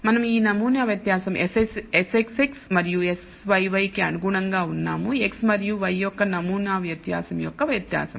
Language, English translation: Telugu, So, we de ne these sample variance S xx and S yy corresponding to the variance of sample variance of x and y